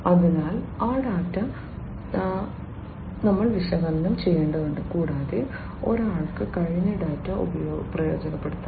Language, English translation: Malayalam, So, that data we will have to be analyzed and one can take advantage of the past data